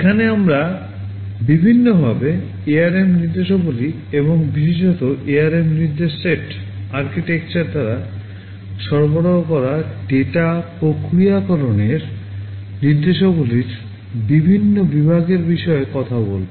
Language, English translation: Bengali, Here we shall be broadly talking about the various categories of ARM instructions and in particular the data processing instructions that are provided by the ARM instruction set architecture